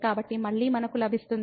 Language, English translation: Telugu, So, again we get